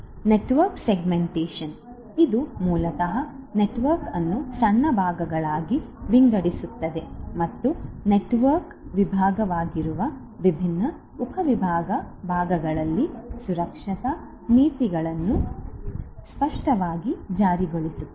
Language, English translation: Kannada, Network segmentation, which is basically dividing the network into smaller parts and enforcing security policies explicitly in those different subdivided parts that is network segmentation